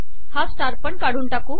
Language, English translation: Marathi, Also remove the star here